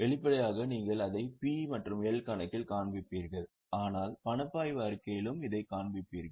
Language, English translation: Tamil, Obviously you will show it in P&L account but you will also show in cash flow statement because you are also generating or you are receiving cash in the process